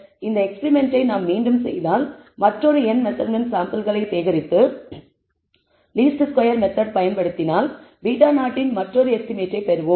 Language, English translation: Tamil, If we were to repeat this experiment, collect an other sample of n measurement and apply the method of least squares, we will get another estimate of beta naught